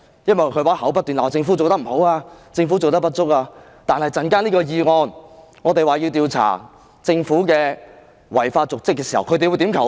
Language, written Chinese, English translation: Cantonese, 因為她口中不斷怪責政府做得不好、做得不足，但這項議案要調查政府的違法瀆職行為，他們又會怎樣投票？, Because she keeps blaming the Government for not doing a good enough job but regarding this motion that seeks to investigate the Government for dereliction of duty how are they going to vote?